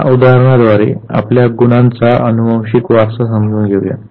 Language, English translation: Marathi, Let us understand genetic inheritance of traits by this example